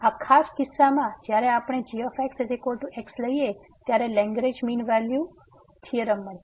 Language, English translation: Gujarati, So, in this particular case when we take is equal to we will get the Lagrange mean value theorem